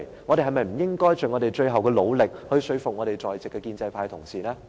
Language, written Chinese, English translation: Cantonese, 我們是否不應該盡最後努力說服在席的建制派同事？, Does it mean that we should not make our final effort to convince our pro - establishment colleagues?